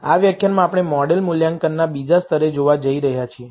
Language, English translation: Gujarati, In this lecture, we are going to look at the second level of model assessment